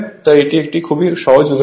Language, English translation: Bengali, So, simple simple example right